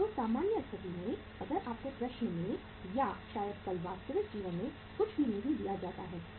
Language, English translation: Hindi, So in the normal case if nothing is given to you in the in the question or maybe tomorrow in the real life